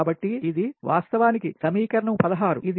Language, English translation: Telugu, so this is actually equation sixteen